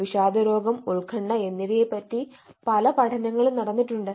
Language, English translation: Malayalam, there are other studies also link to anxiety and depressive disorders